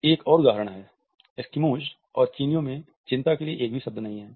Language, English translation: Hindi, Another example is that Eskimos and the Chinese do not have a word their culture for anxiety